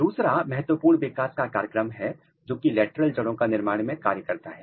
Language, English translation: Hindi, Another important developmental program which occurs is the lateral root formation